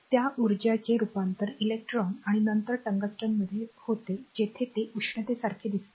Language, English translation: Marathi, So, that energy is transformed in the electrons and then to the tungsten where it appears as the heat